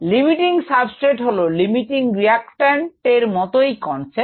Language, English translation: Bengali, the limiting substrate is similar to the concept of limiting reactant